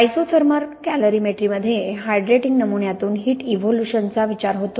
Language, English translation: Marathi, An isothermal calorimetry looks at the heat evolution from a hydrating sample